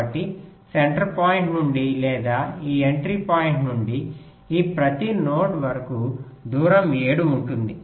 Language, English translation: Telugu, so either from the centre point of, from this entry point, the distance up to each of these nodes will be seven